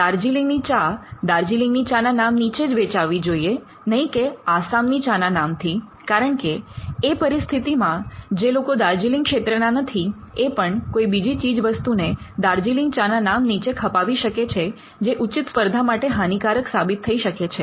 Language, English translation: Gujarati, For instance, Darjeeling tea should only be sold as Darjeeling tea, we do not want that to be sold as Assam tea or any other tea, because then that will allow people who do not come from a particular territory to pass of a product as another one, and it would also affect fair competition